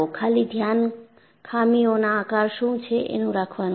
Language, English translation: Gujarati, The focus is, what is the shape of the flaw